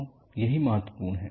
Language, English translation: Hindi, So, this is what is important